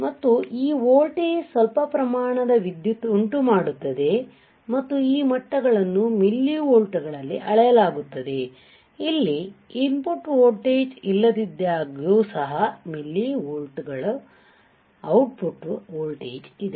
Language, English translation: Kannada, And this voltage causes some amount of current some amount of current and this levels are measured in millivolts right, but this millivolts are there this is output voltage of millivolts is there even when there is no input voltage